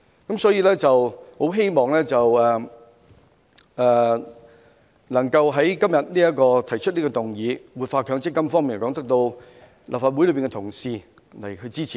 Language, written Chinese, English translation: Cantonese, 我很希望今天提出這項關於活化強積金的議案，能夠得到立法會內各位同事支持。, I hope this motion on revitalizing MPF moved by me today can be supported by Honourable colleagues in the Legislative Council